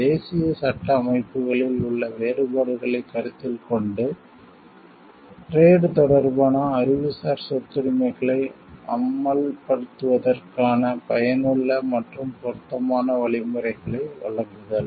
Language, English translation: Tamil, The provision of effective and appropriate means of enforcement of trade related Intellectual Property Rights, taking into account differences in national legal system